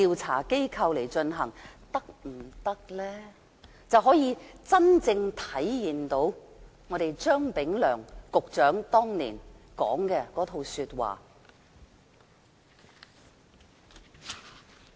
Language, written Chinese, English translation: Cantonese, 此舉便可以真正體現前局長張炳良當年所說的話。, Doing so can truly manifest the remarks made by the former Secretary Anthony CHEUNG at that time